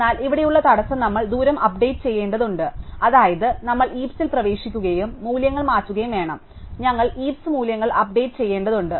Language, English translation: Malayalam, But the bottleneck here is, that we need to update the distance, that is, we need to get into the heap and change values, so we need to update heap values